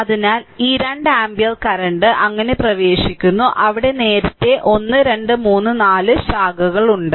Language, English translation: Malayalam, So, this 2 ampere current is entering right so, there early 1 2 then 3 4 4 branches are there